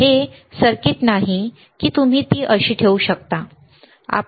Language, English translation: Marathi, This is not a circuit; this is not this thing, that you can place it like this, right